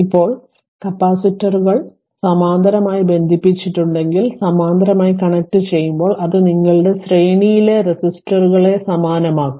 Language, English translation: Malayalam, Now, if capacitors are connected in parallel right it will be your what you call when they are connected in parallel it will be like same manner when you calculate resistors in series right